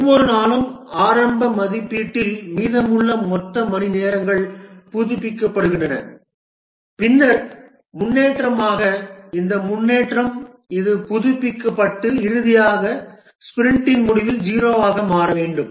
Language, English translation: Tamil, The total hours remaining initial estimation and then as the progress, this is updated and finally at the end of the sprint should become zero